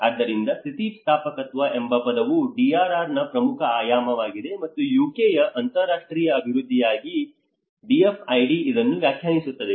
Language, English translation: Kannada, So the word resilience has become an important dimension of the DRR and this is what the DFID defines as the department for international development of UK